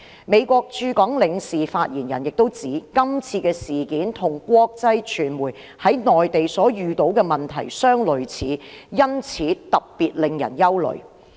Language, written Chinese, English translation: Cantonese, 美國駐港領事發言人亦指，今次事件與國際傳媒在內地所遇到的問題相類似，因此特別令人憂慮。, The spokesman for the General Consulate of the United States in Hong Kong also said that the incident was similar to the problems encountered by international media in the Mainland and it was particularly worrisome